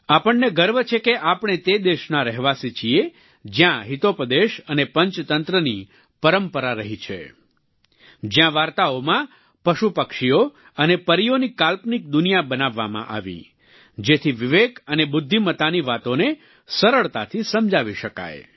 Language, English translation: Gujarati, We are proud to be denizens of the land that nurtured the tradition of Hitopadesh and Panch Tantra in which, through an imaginary world of animals, birds and fairies woven into stories, lessons on prudence and wisdom could be explained easily